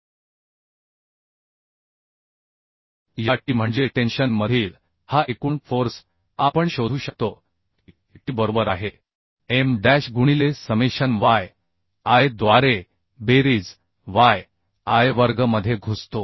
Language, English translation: Marathi, Now, tensile force at the extreme bolt, that I can find out in this way also, M dash into yn by summation yi square